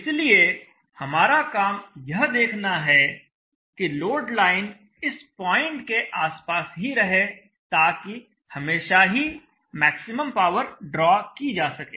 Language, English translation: Hindi, So it is our job now to see that the load line is always at around this point such that maximum power is always drawn